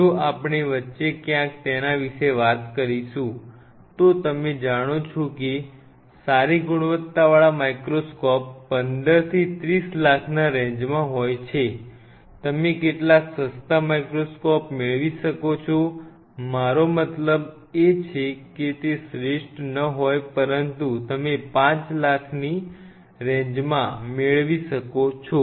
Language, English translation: Gujarati, Microscope budget goes anywhere between a standard good quality microscope if we talk about somewhere between, you know say 15 to 30 lakhs this is the kind of budget we talk about good quality microscope, you can get some of the cheaper version unless I mean they may not be the best, but you can work out with them within a range of say 5 lakhs